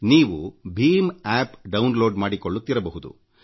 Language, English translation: Kannada, You must be downloading the BHIM App and using it